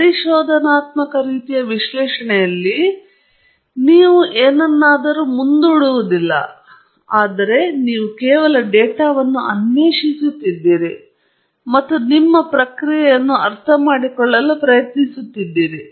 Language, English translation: Kannada, In an exploratory type of analysis, you do not postulate anything upfront, but you are just exploring the data and trying to understand your process